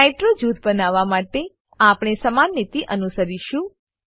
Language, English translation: Gujarati, We will follow a similar strategy to create a nitro group